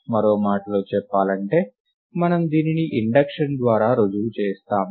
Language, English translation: Telugu, In other words we prove this by induction right